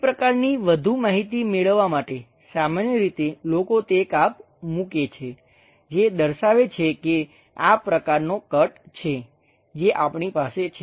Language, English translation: Gujarati, To have that kind of more information, usually people have that cut so that indicates that there is something like this kind of cut what we are going to have